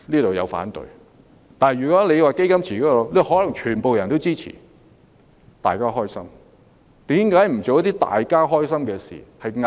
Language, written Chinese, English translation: Cantonese, 不過，如果推行"基金池"方案，他們可能全皆支持，這樣便皆大歡喜了。, However the fund pool proposal is likely to gain their full support and everyone will be happy if it is adopted